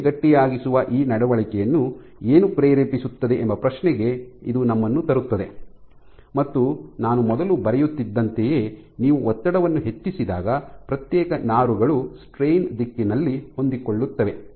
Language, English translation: Kannada, So, this brings us to the question that what is driving this behavior of strain stiffening and what it turns out is as I was drawing before when you have increase in strain then individual fibers tend to align along the direction of strain